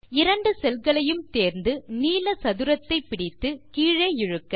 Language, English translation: Tamil, Now If I select these two cells and then drag the blue square down let me move this here